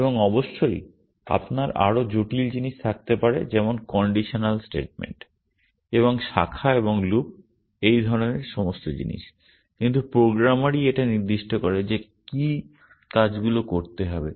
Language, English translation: Bengali, And of course, you may have more complicated things like conditional statements and branches and loops and all this kind of stuff, but it is the programmer which specifies what actions have to be done essentially